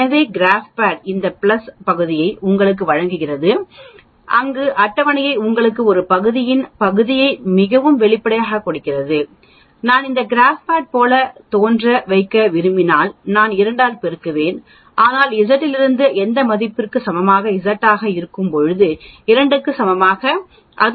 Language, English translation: Tamil, So the GraphPad gives you this plus this area where as the table gives you one set of the area so obviously, if I want to make it appear like GraphPad I multiply by 2, so from Z equal to any value for example, when Z is equal to 2 it gives you 0